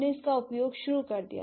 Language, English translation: Hindi, We started using it